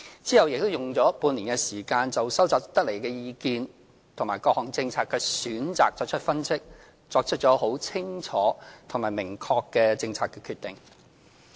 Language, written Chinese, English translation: Cantonese, 其後亦再用了半年時間，就收集得來的意見及各項政策選擇的分析，作出清楚而明確的政策決定。, Later another six months were spent analysing the views collected and various policy options in order to make a clear and specific policy decision